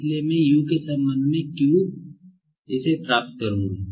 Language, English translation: Hindi, So, I will be getting, that is, Q with respect to U